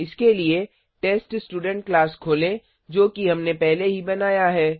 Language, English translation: Hindi, For that, let us open the TestStudent class which we had already created